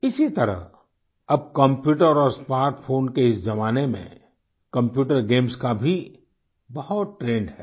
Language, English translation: Hindi, Friends, similarly in this era of computers and smartphones, there is a big trend of computer games